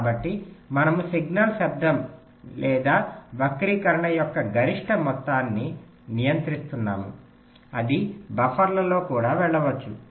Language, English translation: Telugu, so we are controlling the maximum amount of signal, noise or distortion that might go in